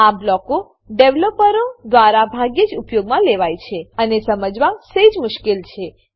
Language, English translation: Gujarati, These blocks are used rarely by developers and are a bit difficult to understand